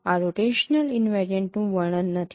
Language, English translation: Gujarati, This description is not rotational invariant